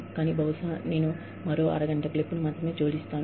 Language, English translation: Telugu, But, maybe, I will just add on, another half an hour clip, only for the networking